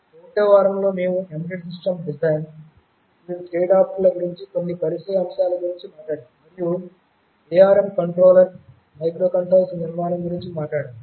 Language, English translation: Telugu, During the 1st week, we had talked about some introductory aspects about embedded system design, various tradeoffs and also we talked about the architecture of the ARM microcontrollers